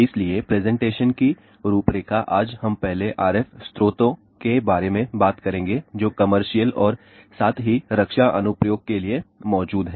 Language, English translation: Hindi, So, the outline of the presentation today is we will first talk about RF sources which are present for the commercial as well as defense application